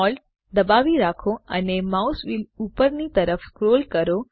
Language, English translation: Gujarati, Hold SHIFT and scroll the mouse wheel upwards